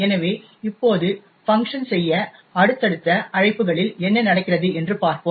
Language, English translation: Tamil, So, now let us look at what happens on subsequent invocations to func